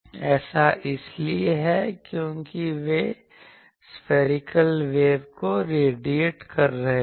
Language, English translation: Hindi, This is because they are radiating spherical waves